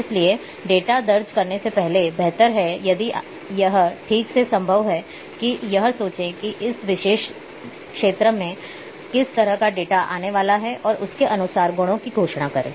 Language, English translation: Hindi, So, it is better before entering the data if it is possible properly think that what kind of data is going to come in that particular field and declare the properties accordingly